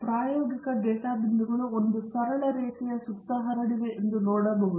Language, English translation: Kannada, You can see that the experimental data points are sort of scattered around a mean straight line